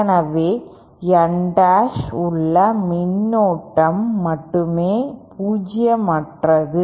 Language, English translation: Tamil, So only the current in N dash is non zero